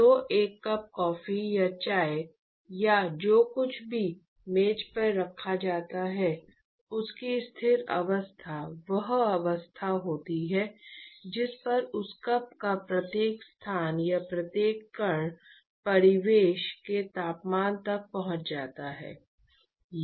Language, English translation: Hindi, So, really the steady state of a cup of coffee or chai or whatever is kept on the table is the state at which the every location or every particle in that cup, actually reaches the temperature of the surroundings